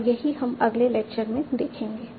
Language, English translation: Hindi, And that's what we will see in the next lecture